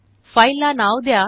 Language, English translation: Marathi, Give your file a name